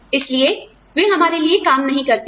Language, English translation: Hindi, So, they do not work, for us